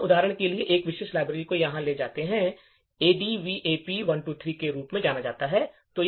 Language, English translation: Hindi, Let us take for example one particular library over here which is known as the ADVAP123